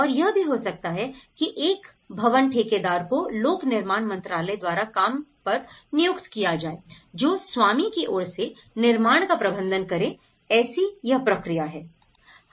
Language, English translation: Hindi, And also, a building contractor would may be hired by the Ministry of Public Works and services who manages the construction on behalf of the owner, so that is process